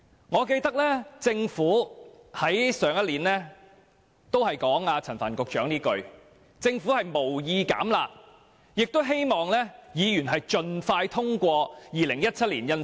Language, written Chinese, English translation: Cantonese, 我記得，政府上年度也說過陳帆局長這句話，就是政府無意"減辣"，並且希望議員盡快通過《條例草案》。, Just now Secretary Frank CHAN said that the Government had no plan to water down the curb measures and hoped that Members would pass the Bill as soon as possible . I remember that the Government made the same remarks in the last session